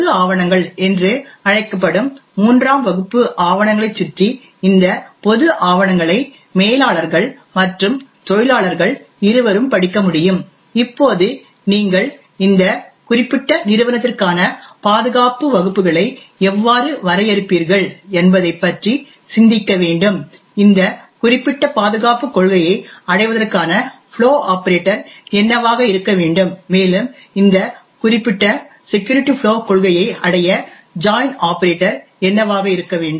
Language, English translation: Tamil, Further around a third class of documents which are known as public documents, so these public documents can be read by the both the managers as well as the workers, now you have to think about how would you define security classes for this particular company, what is the flow operator to achieve this particular security policy, further what should be the join operator achieve this particular security flow policy